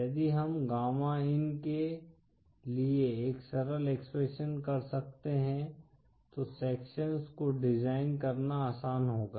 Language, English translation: Hindi, If we could have a simple expression for gamma in then it would be easier to design sections